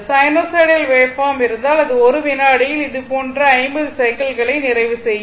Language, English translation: Tamil, So, if you have sinusoidal waveform, so it will complete 50 such cycles 50 such cycles in 1 second right